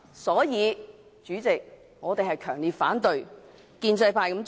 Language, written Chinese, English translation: Cantonese, 所以，主席，我們強烈反對建制派這樣做。, For these reasons President we strongly oppose the proposal put forth by the pro - establishment camp